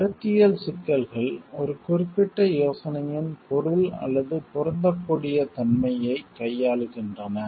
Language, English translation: Tamil, Conceptual issues deals with the meaning or meaning or applicability of a particular idea